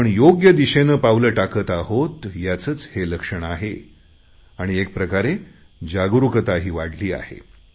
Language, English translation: Marathi, All these things are a sign that we are moving in the right direction and awareness has also increased